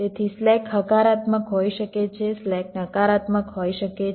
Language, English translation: Gujarati, so slack can be positive, slack can be negative